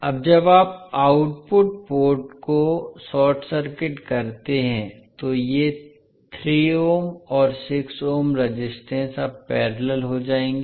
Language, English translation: Hindi, Now when you short circuit the output port these 3 ohm and 6 ohm resistance will now be in parallel